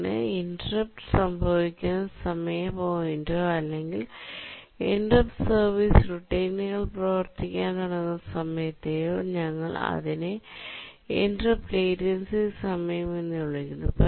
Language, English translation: Malayalam, So the point where the interrupt occurs, the time point at which the interrupt occurs to the time point where the interrupt service routine starts running, we call it as the interrupt latency time